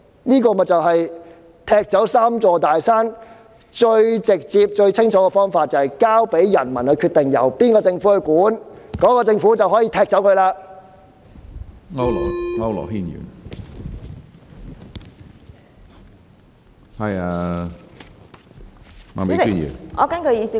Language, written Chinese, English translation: Cantonese, 這便是踢走"三座大山"最直接、最清楚的方法，也就是交由人民決定由哪個政府管治，屆時那個政府便可以踢走這些"大山"。, This is the most direct and clear - cut approach to remove the three big mountains . In other words it should be left to the people to decide which administration should take the helm . By then the government may kick out these big mountains